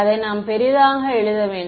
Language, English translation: Tamil, We should write it bigger